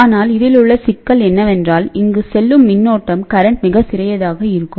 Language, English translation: Tamil, But the problem with this is that the current going through here will be very small